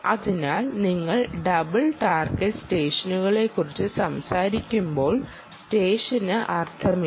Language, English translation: Malayalam, so when you talk about dual target session doesnt make sense